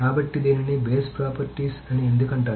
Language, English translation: Telugu, So why is it's called base properties